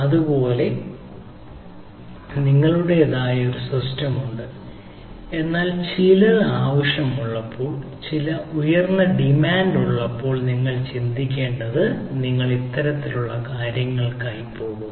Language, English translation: Malayalam, similarly, you have your own system, but when you are you require some when you are thinking there is some peak demand, you go for this type of things